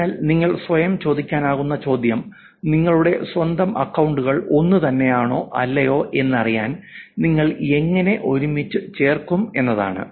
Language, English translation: Malayalam, So the question that you can ask yourself is how do I put, how do you put your own accounts together to find out whether they're same or not